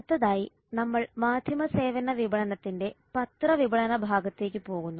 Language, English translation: Malayalam, next we go to newspaper marketing part of media services marketing